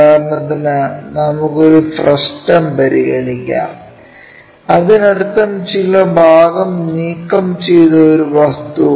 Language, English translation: Malayalam, For example, let us consider a frustum; that means, some part we have removed it